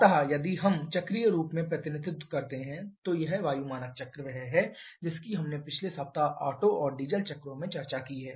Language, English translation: Hindi, So, if we represent in cyclic form then this air standard cycle is the one that we have discussed in the previous week the Otto and diesel cycles